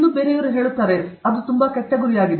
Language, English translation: Kannada, That is a very bad goal okay